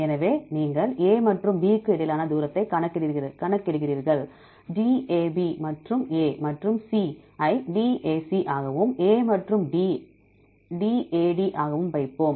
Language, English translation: Tamil, So, you calculate the distance between A and B, let us put dAB and A and C is dAC and A and D is dAD